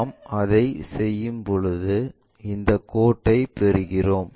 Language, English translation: Tamil, When we are doing that, we get these lines